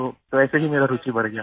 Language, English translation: Hindi, So just like that my interest grew